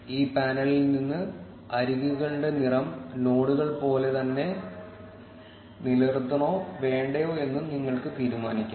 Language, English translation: Malayalam, From this panel, you can also decide whether you want to keep the color of the edges same as the nodes or not